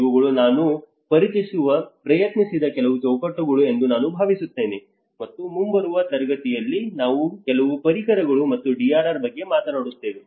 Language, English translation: Kannada, I think these are a few frameworks I just tried to introduce and in the coming class we will also talk about a few tools and DRR